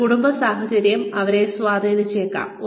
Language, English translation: Malayalam, They could be influenced by a family situation